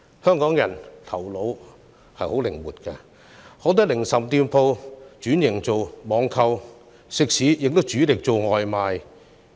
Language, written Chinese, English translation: Cantonese, 香港人的頭腦十分靈活，許多零售店鋪轉型為網購店，食肆亦主力做外賣生意。, Hong Kong people have become very flexible in that a lot of retail outlets have turned into online shops and restaurants now focus on takeaway business